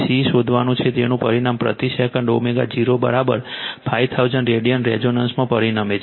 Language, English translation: Gujarati, You have to find C, which results in a resonance omega 0 is equal to 5000 radian per second right